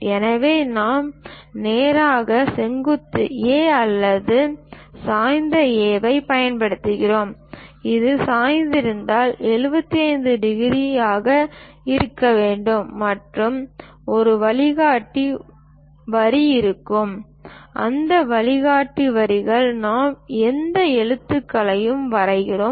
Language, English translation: Tamil, So, either we use straight vertical A or an inclined A; if this is inclined is supposed to be 75 degrees, and there will be a guide lines, in that guide lines we draw any lettering